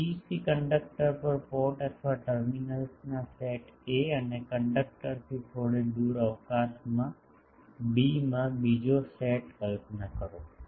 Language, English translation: Gujarati, Visualize the set of port or terminals a on the this PEC conductor and another set in b in space a bit away from the conductor